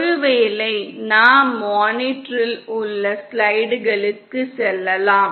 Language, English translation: Tamil, Maybe we can go to the slides on the monitor itself